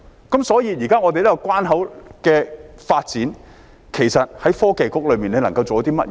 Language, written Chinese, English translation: Cantonese, 現時我們這個關口的發展，其實創新及科技局能夠做些甚麼呢？, What can the Innovation and Technology Bureau actually do now about the development of this boundary crossing?